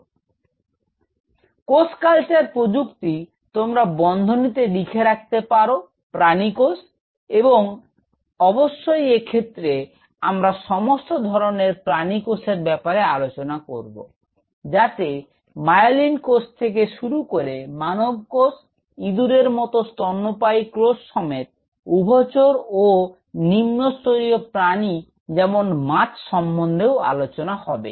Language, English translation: Bengali, So, cell culture technology; you can put it within bracket animal cells and of course, we will be talking about all sorts of animals, we starting from myelin cells, even human cell culture to mammalian cells like rats’ mice all the way to amphibians like lower order including fishes